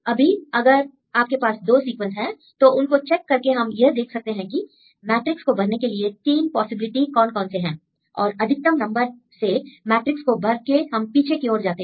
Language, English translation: Hindi, Now, if you have 2 sequences we check the 2 sequences and there are 3 possibilities to fill the matrix and take the maximum number and fill the matrix and trace back to see the route